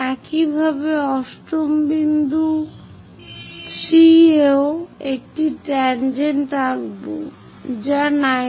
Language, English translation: Bengali, Similarly, 8 point 3 draw a tangent which is at 90 degrees